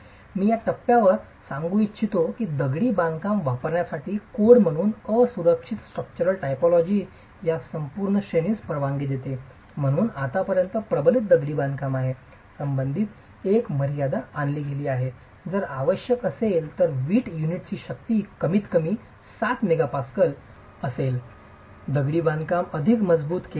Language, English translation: Marathi, I would like to point out at this stage that while the code for use of masonry as an unreinforced structural typology permits this entire range as far as reinforced masonry is concerned a limit is introduced requiring that the brick unit strength be at least 7 megapascals if the masonry is going to be reinforced